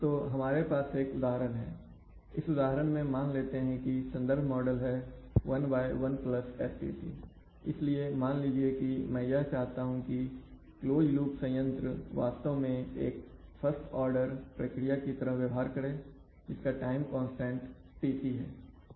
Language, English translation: Hindi, So we have an example, in this example let the reference model be one by one plus STc , so it let us suppose I want that the closed loop plant actually behaves like a first order process with some time constant Tc